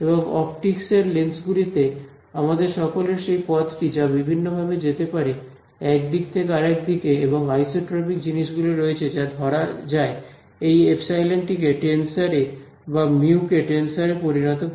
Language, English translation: Bengali, And in lenses in optics you all we have that way of travels differently in one direction then another direction and isotropic things are there that is captured by making this epsilon into a tensor or mu into a tensor ok